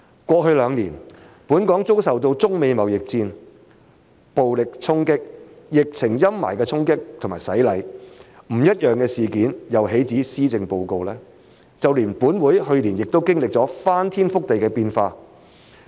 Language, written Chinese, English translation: Cantonese, 過去兩年，本港遭受中美貿易戰、暴力衝擊、疫情陰霾的衝擊和洗禮，不一樣的事件又豈止施政報告，就連本會去年也經歷了翻天覆地的變化。, In the past two years Hong Kong has been slammed and challenged by the Sino - US trade war violent clashes and the shadow cast by the pandemic . The Policy Address is by far not the only thing that is not the same again . Even this Council has experienced earth - shaking changes over the last year